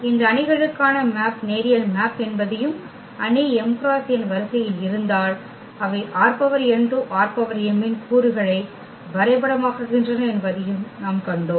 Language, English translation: Tamil, And what we have also seen that these matrices are also linear map and if matrix is of order m cross n then they map the elements of R n to the elements of R m